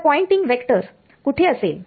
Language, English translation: Marathi, So, which way will the Poynting vector be